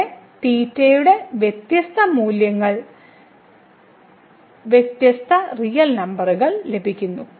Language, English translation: Malayalam, So, here for different values of theta we are getting the different real number